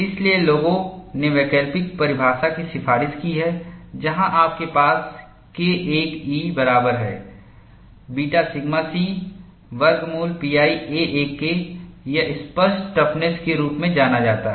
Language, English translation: Hindi, So, people have recommended alternate definition, where you have K 1 e equal to beta sigma c square root of pi a; this is known as apparent toughness